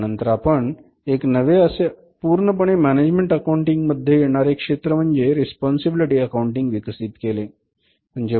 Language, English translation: Marathi, Then we developed a new discipline which is purely a discipline technique of the management accounting which is called as responsibility accounting